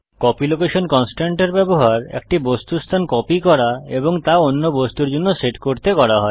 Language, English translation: Bengali, Copy location constraint is used to copy one objects location and set it to the other object